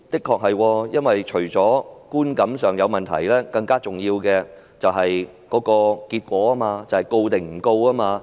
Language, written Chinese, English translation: Cantonese, 確實除了觀感上有問題，更重要的是結果，便是究竟會否作檢控？, Indeed besides the perception issue the most important thing is the result